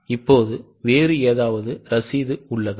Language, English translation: Tamil, Is there any other receipt